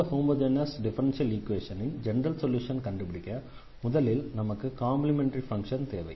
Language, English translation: Tamil, So, we have to find a general solution of the homogenous equation or rather we call it complementary functions